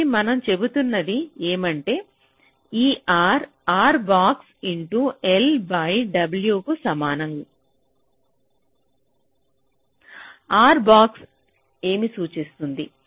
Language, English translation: Telugu, so what we are saying is that this r is equal to r box, l by w